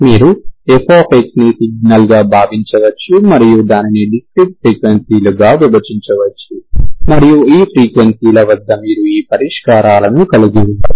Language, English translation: Telugu, You can think of fx as the signal, you can split it into discrete frequencies, at these frequencies you can have these solutions, okay